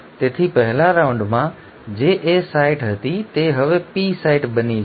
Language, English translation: Gujarati, So what was the A site in the first round now becomes the P site